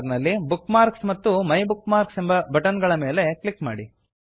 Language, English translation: Kannada, * From Menu bar, click on Bookmarks and MyBookmarks